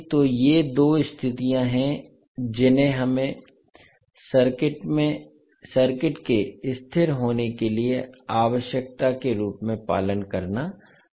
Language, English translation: Hindi, So these are the two conditions which we have to follow as a requirement for h s to of the circuit to be stable